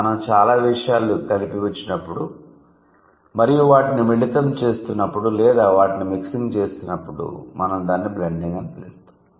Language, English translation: Telugu, So, when we put a lot of things together and we are blending it or we are mixing it, we call it that that is a process is called blending